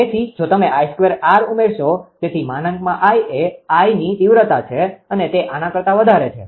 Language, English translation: Gujarati, So, if you add I square R, so I is magnitude of I greater than this one